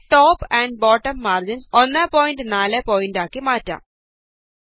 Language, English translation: Malayalam, I will change Top and Bottom margins to 1.4pt